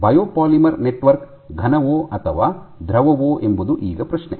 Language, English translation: Kannada, So, coming to the question of whether a biopolymer network is a solid or a liquid